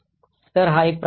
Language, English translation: Marathi, So, this is one kind of attack